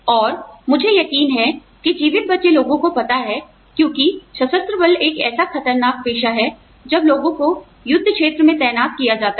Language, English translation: Hindi, And, I know for sure, that the survivors, because the armed forces is so, you know, it is such a dangerous profession, when people are deployed, in the field